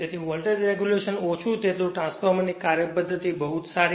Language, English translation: Gujarati, So, smaller is the voltage regulation better is the operation of the transformer right